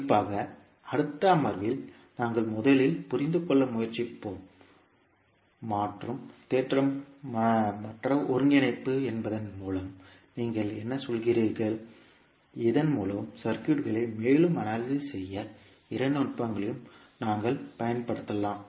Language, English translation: Tamil, And particularly in next session, we will first try to understand, what do you mean by convolution theorem and convolution integral, so that we can apply both of the techniques to further analyze the circuits